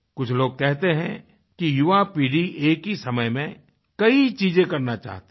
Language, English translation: Hindi, Some people say that the younger generation wants to accomplish a many things at a time